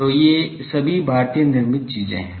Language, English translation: Hindi, So, these are all Indian made things